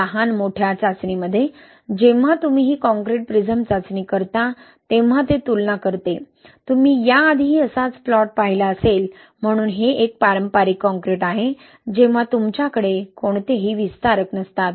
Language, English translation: Marathi, Small scale test, when you do this concrete prism test, right, it compares, you have seen similar plot before, so this is a conventional concrete, when you do not have any expansion agent, right